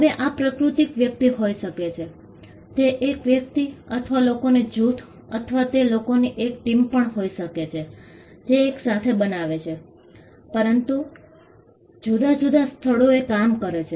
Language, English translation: Gujarati, Now, this can be natural person, either an individual or a group of people, or it could also be a team of people who together come and create, but, working in different locations